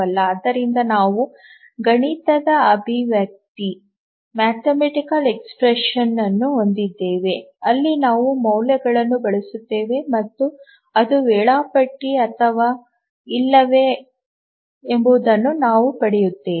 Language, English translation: Kannada, Can we have a mathematical expression where we substitute values and then we get the result whether it is schedulable or not